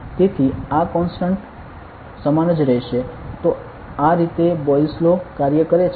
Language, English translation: Gujarati, So, this constant will remain the same so this is how Boyle’s law works ok